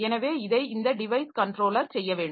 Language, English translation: Tamil, So, this is device controller has to do this